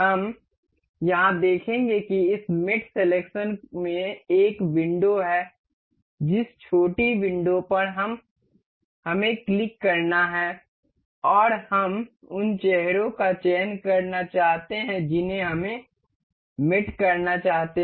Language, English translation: Hindi, We will see here this mate selections has a window, small window we have to click on that and select the faces we want to do we want to mate